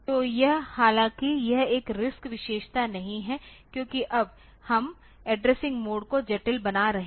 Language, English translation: Hindi, So, this though it is not a RISC feature because now; we are making the addressing mode complex ok